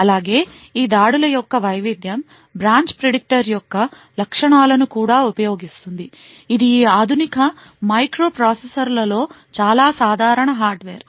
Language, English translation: Telugu, Also, a variance of these attacks also use the features of the branch predictor which is a common hardware in many of these modern day microprocessors